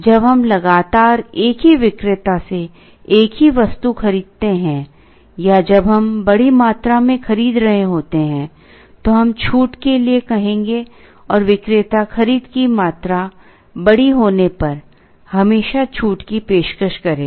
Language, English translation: Hindi, When we consistently buy the same item from the same vendor or when we are buying a larger quantity, we would ask for a discount and the vendor would offer a discount invariably when the buying quantity is large